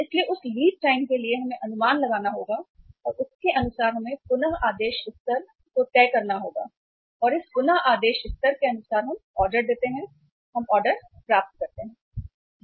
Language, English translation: Hindi, So that lead time we have to work out and accordingly we have to decide the reordering level and as per this reordering level we place the order, we receive the order